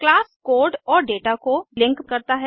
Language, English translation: Hindi, Class links the code and data